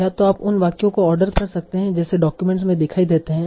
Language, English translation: Hindi, So either you can list a sentence in the order, they appear in the document